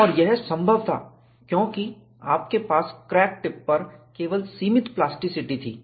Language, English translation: Hindi, And, this was possible because, you had only limited plasticity at the crack tip